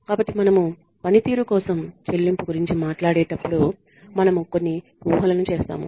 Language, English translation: Telugu, So, when we talk about pay for performance, we make a few assumptions